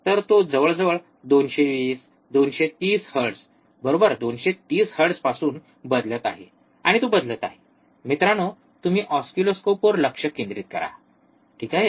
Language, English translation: Marathi, So, he is changing from almost 220, 230 hertz, right 230 hertz, and he is changing so, guys you focus on the oscilloscope, alright